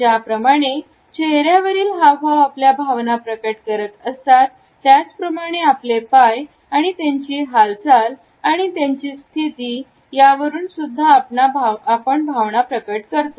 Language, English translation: Marathi, As our facial expressions reveal our feelings; our legs and position of the feet also communicates our feelings